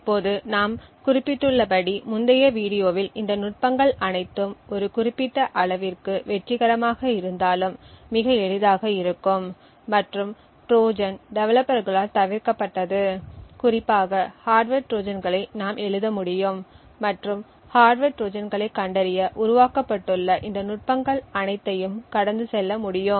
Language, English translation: Tamil, Now as we mentioned in the previous video all of these techniques though successful to a certain extent are very easily evaded by Trojan developers essentially we could write hardware Trojans that specifically could bypass all of these techniques that have been developed to detect hardware Trojans